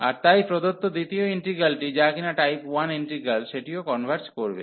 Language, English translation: Bengali, And hence the given integral the second integral, which was the type 1 integral that also converges